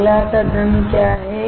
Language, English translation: Hindi, What is the next step